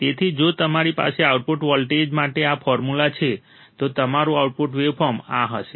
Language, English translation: Gujarati, So, if you have this formula for output voltage, your output waveform would be this